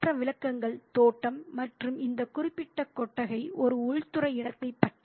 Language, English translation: Tamil, The other descriptions are about the garden and this particular shed, which is an interior space